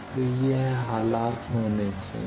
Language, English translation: Hindi, So, this condition there should be